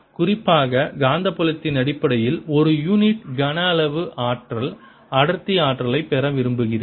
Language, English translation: Tamil, in particular, i want to get the energy density, energy per unit volume in terms of magnetic field